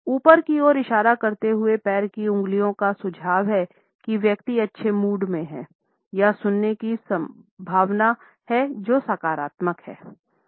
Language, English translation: Hindi, Toes pointing upwards suggest that the person is in a good mood or is likely to hear something which is positive